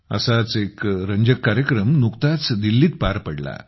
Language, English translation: Marathi, One such interesting programme was held in Delhi recently